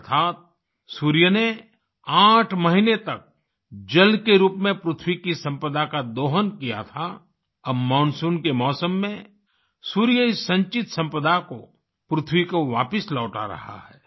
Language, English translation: Hindi, That is, the Sun has exploited the earth's wealth in the form of water for eight months, now in the monsoon season, the Sun is returning this accumulated wealth to the earth